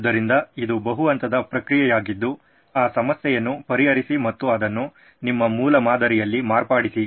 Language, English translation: Kannada, So this is a multi step process then solve that problem and modify that in your prototype